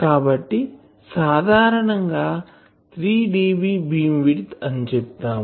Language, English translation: Telugu, So, generally we say 3 dB beam width will be this